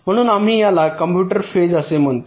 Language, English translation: Marathi, so we call this as the compute phase